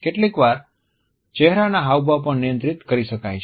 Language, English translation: Gujarati, Facial expressions can also be sometimes controlled